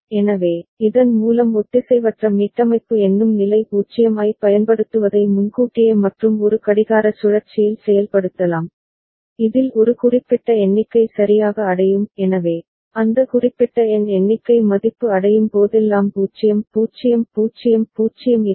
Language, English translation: Tamil, So, with this we conclude using asynchronous reset counting state 0 can be enforced early and in a clock cycle, in which a specific count is reached ok so, 0 0 0 0 will be there whenever that particular number count value reaches